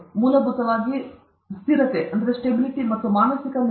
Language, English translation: Kannada, Basically, fixity or mental block